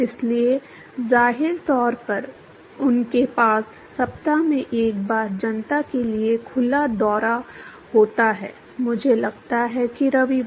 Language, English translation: Hindi, So, apparently, they have a tour for open for public one time in a week; I think Sundays